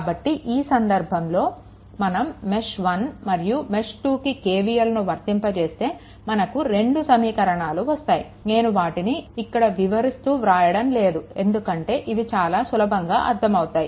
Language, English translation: Telugu, So, in this case, if we apply write down your what we call that your KCL right KVL in mesh 1 and mesh 2, then you will get this 2 equations, I did not write now why because things are very easily understandable for you